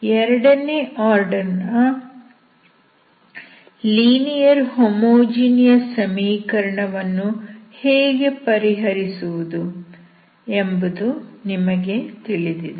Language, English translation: Kannada, So what you know is how to solve second order linear homogeneous equation, with constant coefficients